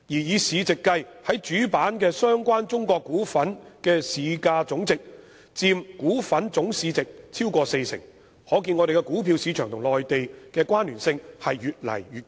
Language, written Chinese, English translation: Cantonese, 以市值計，在主板的相關中國股份之市價總值佔股份總市值超過四成，由此可見，我們的股票市場與內地的關聯性越來越高。, Speaking of market capitalization the market capitalization of China - related stocks on the main board accounted for over 40 % of the total market capitalization . It can be seen from this that the connection between our stock market and the Mainland is increasing